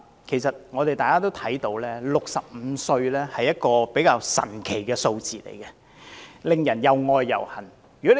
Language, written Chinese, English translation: Cantonese, 其實，大家也看到 ，65 歲是一個比較神奇的數字，令人又愛又恨。, In fact as we can see the age of 65 is a relatively amazing figure which we both love and hate